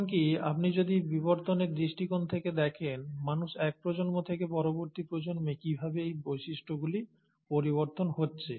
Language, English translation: Bengali, And how is it, even if you look at from the evolution perspective, how is it from one generation of humans, to the next generation of humans, the features are changing